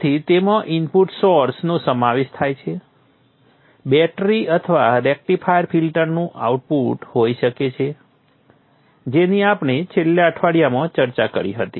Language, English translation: Gujarati, It could be a battery or the output of the rectifier filter which we discussed in the last week